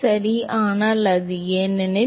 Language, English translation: Tamil, So, that is why